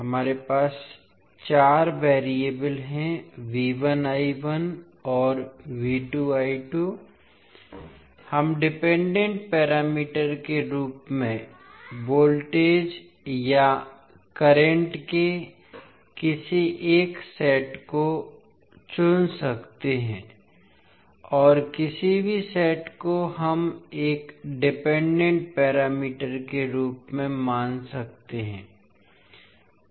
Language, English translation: Hindi, So we have 4 variables; V 1 I 1 and V 2 I 2 so he can choose any one set of voltage or current as independent parameter and any set we can consider as a dependent parameter